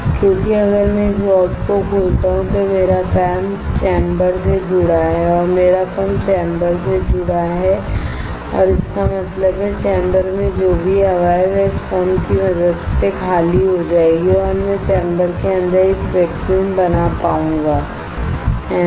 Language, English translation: Hindi, Because if I open this valve if I open this valve then my pump is connected to the chamber, my pump is connected to the chamber and; that means, whatever the air is there in the chamber will get evacuated with the help of this pump and I will be able to create a vacuum inside the chamber, right